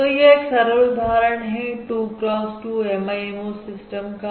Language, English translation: Hindi, So here we are considering a 2 cross 2 MIMO system